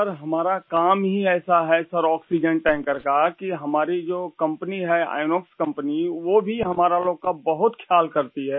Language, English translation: Hindi, Sir, our Company of oxygen tankers, Inox Company also takes good care of us